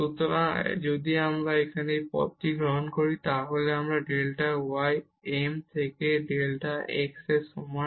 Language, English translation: Bengali, So, if we take this path here delta y is equal to m into delta x